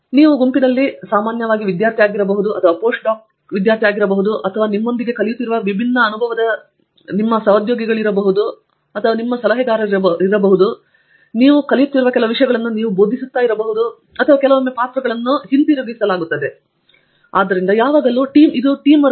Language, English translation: Kannada, You are typically student in a group or a Post Doc in a group and so, there are people with a wide range of different experience who are working along with you some you are learning from, some you are teaching and sometimes the roles are reversed and so that is a process that you have to get comfortable with and you have to understand